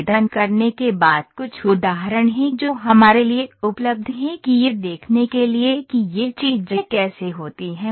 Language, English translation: Hindi, Now, apply ok, so there are certain examples which are available for us to see how these things happen